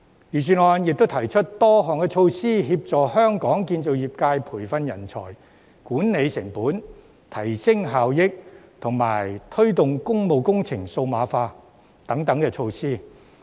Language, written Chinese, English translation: Cantonese, 預算案亦提出多項措施，協助香港建造業界培訓人才、管理成本、提升效益，以及推動工務工程數碼化等。, The Budget also proposes a number of measures to assist the construction industry of Hong Kong to train up talents manage costs enhance efficiency and promote digitalization of public works